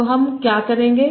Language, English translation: Hindi, So what I will do